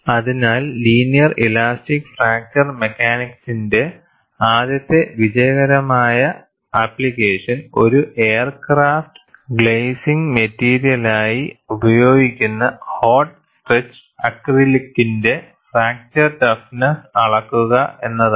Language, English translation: Malayalam, So, the first successful application of linear elastic fracture mechanics was to the measurement of fracture toughness of hot stretched acrylic, used as an aircraft glazing material